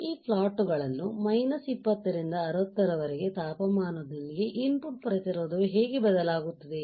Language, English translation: Kannada, Then we look at this plots we will understand with temperature from minus 20 to 60 how the input resistance will change